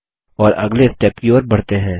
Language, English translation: Hindi, And proceed to the next step